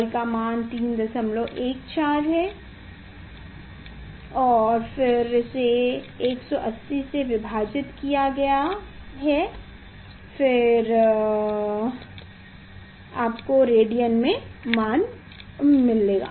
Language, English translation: Hindi, 14 and divided by 180, then you will get the value in radian